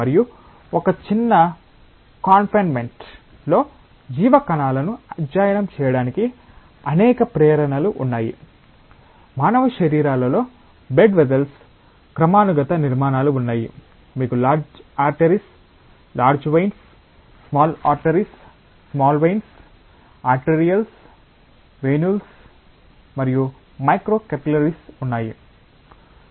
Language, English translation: Telugu, And there are several motivations of studying biological cells in a small confinement, in human bodies there are hierarchical structures of blood vessels; you have large arteries, large veins, small arteries, small veins, arterioles, venules and micro capillaries